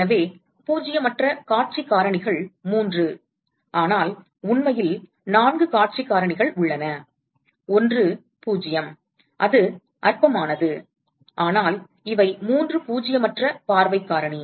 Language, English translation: Tamil, So, the non zero view factors are three, but there are actually four view factors, one is 0, its trivial, but these are three nonzero view factor